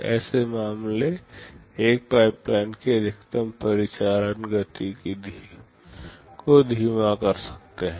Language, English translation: Hindi, Such cases can slow down the maximum operational speed of a pipeline